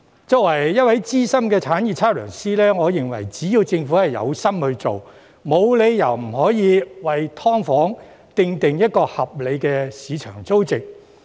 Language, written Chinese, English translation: Cantonese, 作為一位資深產業測量師，我認為只要政府有心做，沒有理由不可以為"劏房"訂定合理的市場租值。, As a senior estate surveyor I think there is no reason why the Government cannot set a reasonable market rental value for SDUs as long as it is willing to do so